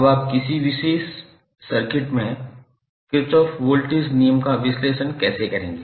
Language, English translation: Hindi, Now, how you will analyze the Kirchhoff voltage law in a particular circuit